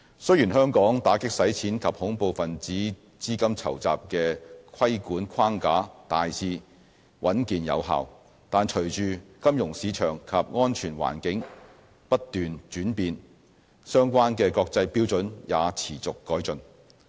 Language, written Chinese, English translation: Cantonese, 雖然香港打擊洗錢及恐怖分子資金籌集的規管框架大致穩健有效，但隨着金融市場及安全環境不斷轉變，相關的國際標準也持續改進。, Although we have in place a generally strong and effective anti - money laundering and counter - terrorist financing framework international standards have evolved quickly because of the changing financial market and security landscapes